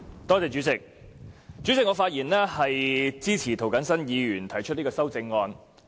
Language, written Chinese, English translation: Cantonese, 代理主席，我發言支持涂謹申議員提出的修正案。, Deputy Chairman I speak in support of the amendment proposed by Mr James TO